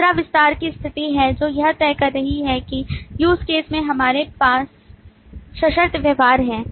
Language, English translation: Hindi, Second is the situation of extend, which is deciding that in terms of a use case, whether we have conditional behavior